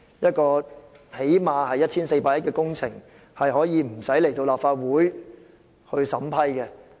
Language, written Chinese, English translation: Cantonese, 這項起碼耗資 1,400 億元的工程，竟可不用提交立法會審批。, The project at a cost of at least 140 billion had not been submitted to the Legislative Council for approval